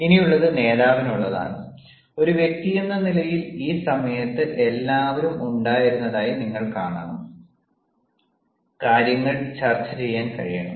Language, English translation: Malayalam, now it is for the leader and and as an individual, you should also see that everybody, during this time, has been able to discuss things